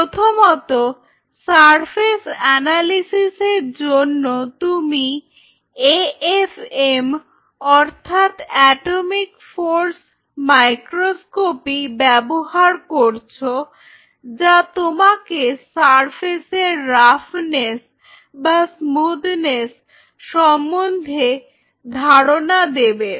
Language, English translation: Bengali, So, first for surface analysis or analysis of your material you use a f m, atomic force microscopy that will kind of give you the roughness or smoothness of the surface whichever way you want to explain it